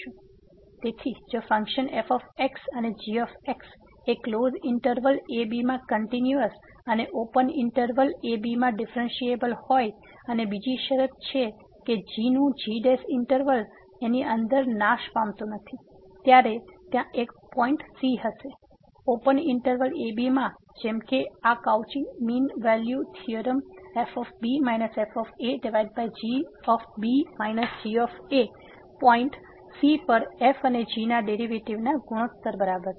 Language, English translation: Gujarati, So, if and are two functions continuous in closed interval and differentiable in open interval and there is another condition on that the derivative of does not vanish anywhere inside the interval then there exist a point in the open interval such that this Cauchy theorem ) minus over minus is equal to the ratio of the derivative of this and at the point